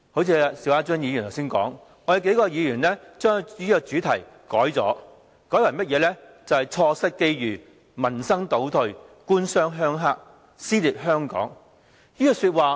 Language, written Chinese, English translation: Cantonese, 正如邵家臻議員剛才所說，我們數位議員將這個主題修改為："錯失機遇，民生倒退，官商鄉黑，撕裂香港"。, Like what Mr SHIU Ka - chun has said just now together with several other colleagues we have revised the theme into Opportunities Gone Livelihood Retrogressed Government - Business - Rural - Triad Collusion and Social Dissension